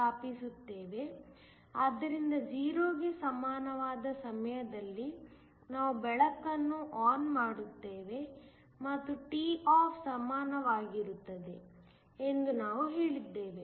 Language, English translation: Kannada, So, we said that at time t equal to 0 we turned the light on and at time equal to toff